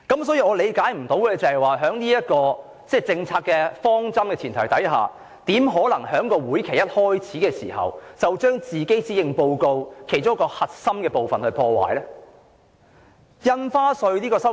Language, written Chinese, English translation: Cantonese, 所以，令我無法理解的是，在這個政策方針的前提下，她怎可以在這個會期一開始時，便將其施政報告的其中一個核心部分破壞？, It is thus incomprehensible to me that despite such a policy objective she is destroying one of the core elements of her Policy Address right at the start of this legislative session